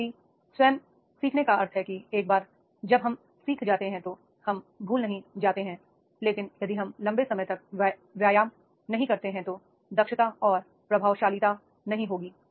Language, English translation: Hindi, However learning itself means that is the once we learn we do not forget but if we do not exercise for the long time then the efficiency and effectiveness will not be there